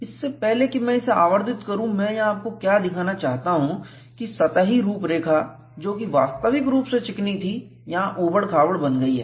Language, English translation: Hindi, Before I magnify, what I want to show you here is, the surface profile which was originally smooth, has become roughened here